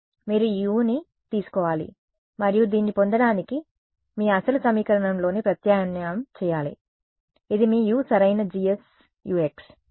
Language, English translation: Telugu, You should take this U and substituted into your original equation to get this one, this is your U right G S U x; G s U x